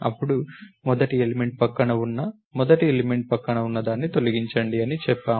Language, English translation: Telugu, Then, we said delete the next to the first element which is the next to the first element to therefore, it is called deleted